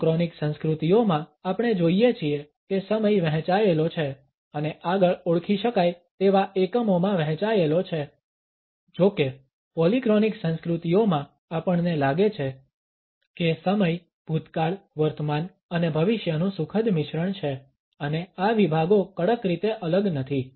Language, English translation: Gujarati, In the monochronic cultures we find that time is divided and further subdivided into identifiable units; however, in polychronic cultures we find that time is a happy mixture of past present and future and these segments are not strictly segregated